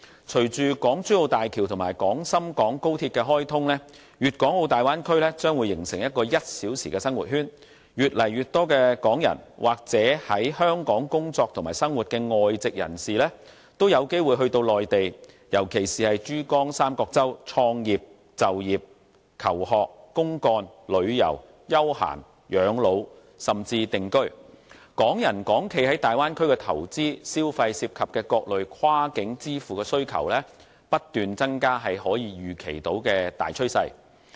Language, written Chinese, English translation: Cantonese, 隨着港珠澳大橋和廣深港高速鐵路的開通，粵港澳大灣區將會形成"一小時生活圈"，越來越多港人或是在香港工作及生活的外籍人士也有機會到內地，尤其是珠江三角洲創業、就業、求學、公幹、旅遊、休閒、養老，甚至定居，港人港企在大灣區的投資、消費涉及的各類跨境支付需求不斷增加是可以預期的大趨勢。, With the commissioning of the Hong Kong - Zhuhai - Macao Bridge and the Guangdong - Shenzhen - Hong Kong Express Rail Link the Bay Area will form a one - hour living circle . More and more Hong Kong people or expatriates living or working in Hong Kong will have an opportunity to go to the Mainland especially the Pearl River Delta to set up their business to study to work to travel or for recreation and retirement . They may even choose to live there